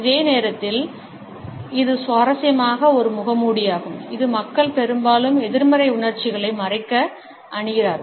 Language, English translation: Tamil, And at the same time this interestingly is also a mask which people often wear to hide more negative emotions